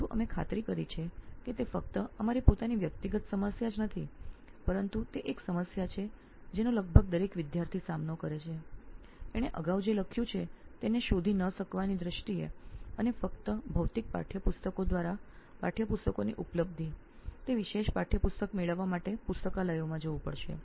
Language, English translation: Gujarati, There is certainly a level of personal experience involved in what we are trying to tackle, but we have ensured that it is not just our own personal problem but it is a problem that almost every student faces in terms of not having access to what he has written earlier, and having access to textbooks only through the physical textbooks, having to go to libraries to get that particular textbook